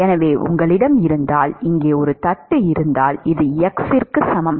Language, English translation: Tamil, So, if you have, if you have a plate here; this is x equal to 0 and this is x equal to some L